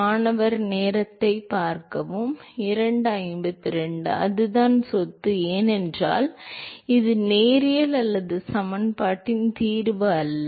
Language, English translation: Tamil, That is the property, because not that this is the solution of non linear equation